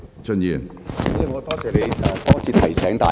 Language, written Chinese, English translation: Cantonese, 主席，我多謝你多次提醒大家。, President many thanks for your repeated reminder to Members